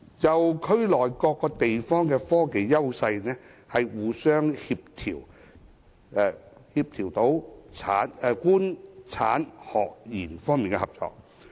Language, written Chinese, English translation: Cantonese, 就區內各地方的科技優勢，互相協調官、產、學、研等方面的合作。, The governments the industry the academia and the research sector should take concerted actions to synergize the technological advantages of the cities in the area